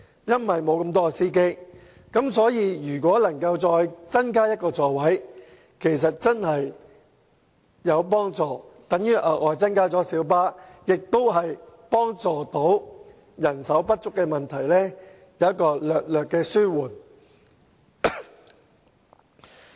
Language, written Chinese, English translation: Cantonese, 因此，如果能夠再增加1個座位，其實真的會有幫助，因為這等於增加了小巴的數目，令人手不足的問題得以稍為紓緩。, Thus it will help if one more seat can be added for this is tantamount to increasing the number of light buses and the shortage of manpower can be slightly relieved as a result